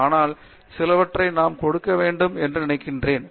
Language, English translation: Tamil, But, I think we need to give some